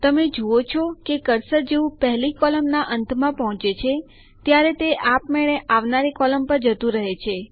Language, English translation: Gujarati, You see that the cursor automatically goes to the next column after it reaches the end of the first column